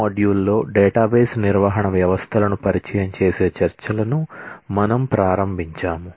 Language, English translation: Telugu, We started discussions introducing the database management systems in module 2